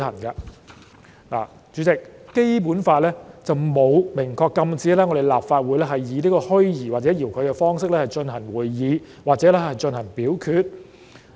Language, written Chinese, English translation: Cantonese, 代理主席，《基本法》並沒有明確禁止立法會以虛擬或者遙距的方式進行會議或進行表決。, Deputy President the Basic Law does not expressly prohibit the holding of meetings and voting of the Legislative Council virtually or remotely